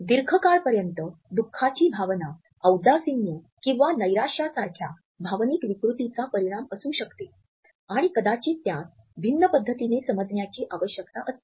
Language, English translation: Marathi, A prolonged feeling of sorrow and unhappiness can also be a result of an emotional disorder like depression and may require a different approach